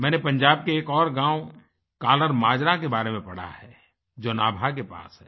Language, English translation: Hindi, I have also read about a village KallarMajra which is near Nabha in Punjab